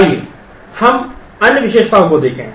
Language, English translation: Hindi, Let us look at other features